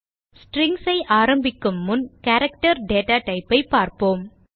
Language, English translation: Tamil, Before starting with Strings, we will first see the character data type